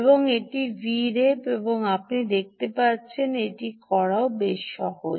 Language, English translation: Bengali, and this is v ref, and you can see this is a quite simple to do